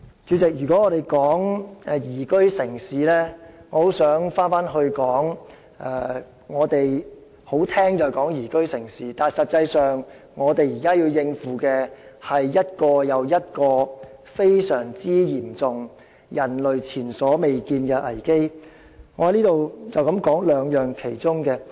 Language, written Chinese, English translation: Cantonese, 主席，說到宜居城市，我認為這只是一個比較動聽的說法，實際上我們現時需要應付的，是一個又一個非常嚴重、人類前所未見的危機，讓我在此只談談其中兩個。, President it is certainly more pleasant to the ear in using the term liveable city but we are now actually facing very serious crises one after another which human race has never encountered before and I would like to talk about only two of them here